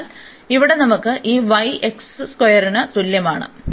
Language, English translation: Malayalam, So, here we have this y is equal to x square